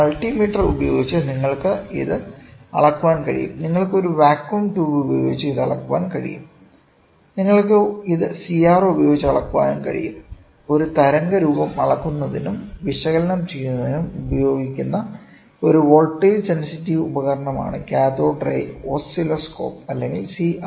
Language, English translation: Malayalam, You can measure it with the multi meter, then you can measure it with a vacuum tube you can also measure it with CRO, Cathode Ray Oscilloscope or CRO is a is a voltage sensitive device that is used to view measure and analyse waveform